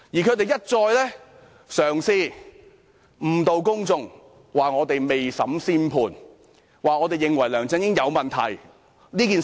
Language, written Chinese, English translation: Cantonese, 他們一再嘗試誤導公眾，說我們未審先判，說我們認為梁振英有問題。, In their attempts to mislead the public they accuse us of passing a judgment before trial and finding fault with LEUNG Chun - ying